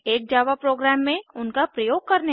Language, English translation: Hindi, Use them in a Java program